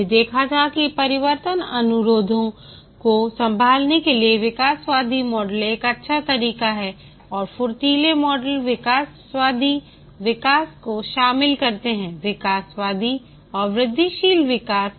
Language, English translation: Hindi, We had seen that the evolutionary model is a good way to handle change requests and the agile models do incorporate evolutionary development, evolutionary and incremental development